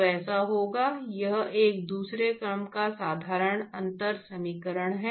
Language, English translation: Hindi, So, that will be so, it is a second order ordinary differential equation